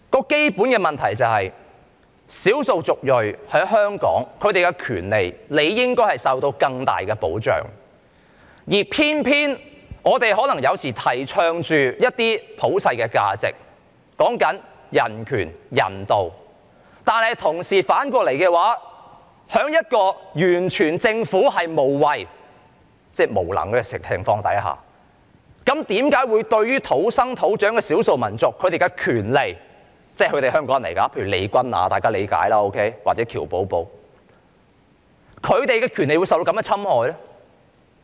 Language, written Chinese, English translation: Cantonese, 基本的問題是，少數族裔在香港的權利理應受到更大的保障，而偏偏有時候我們提倡的一些普世價值，說到人權、人道，反過來在政府完全無為——即無能的情況之下，土生土長的少數民族的權利，雖然大家都理解他們是香港人，例如利君雅或喬寶寶，但為何他們的權利卻受到侵害呢？, The basic point is that the rights of the ethnic minorities in Hong Kong deserve greater protection but why is it that contrary to the universal values that we advocate such as human rights and humanity the rights of the ethnic minorities born and bred here have sometimes been infringed upon as in the case of Nabela Qoser or Q Bobo who are known to be Hongkongers while the impotent Government does nothing at all?